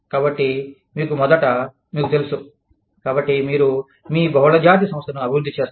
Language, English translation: Telugu, So, you first, you know, so you evolve your, multinational organization